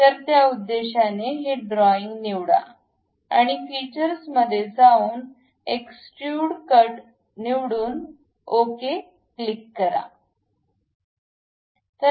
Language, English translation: Marathi, So, for that purpose pick this one, go to features, extrude cut; once done, click ok